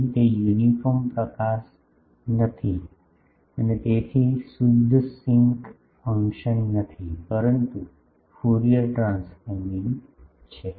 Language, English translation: Gujarati, Here, it was not uniform illumination and so, it is not a pure sinc function, but Fourier transforming